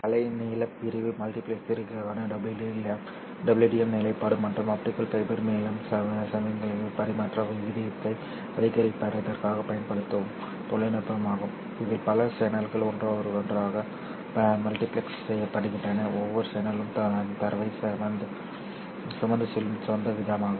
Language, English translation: Tamil, WDM stands for wavelength division multiplexing and it is a technology that is used in order to increase the rate of signal transmission over the optical fibers in which multiple channels are multiplexed together, each channel carrying data at its own rate